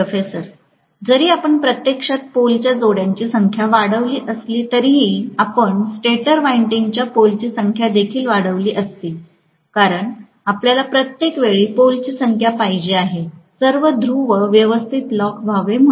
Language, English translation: Marathi, See even if you actually increase the number of pole pairs correspondingly you would also have increased the number of poles in the stator winding because you want every time, all the poles to lock up properly